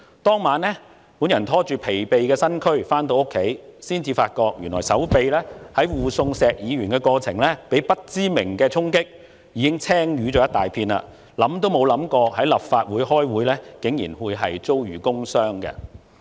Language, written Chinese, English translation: Cantonese, 當晚我拖着疲憊的身軀回家，才發覺原來我在護送石議員的過程中，手臂被不明衝擊，已經青瘀了一大片，想都沒想過在立法會開會竟然會遭遇"工傷"。, I went home exhausted that night . It was not until I found bruises on my arm did I realize I was injured unknowingly when I escorted Mr SHEK . I have never thought about sustaining work injury during Council meetings